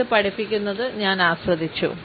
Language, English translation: Malayalam, I have enjoyed teaching it